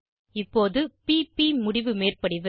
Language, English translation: Tamil, Now to p p end on overlap